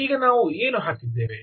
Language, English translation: Kannada, what did we put